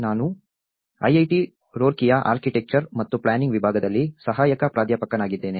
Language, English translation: Kannada, I am an assistant professor in Department of Architecture and Planning, IIT Roorkee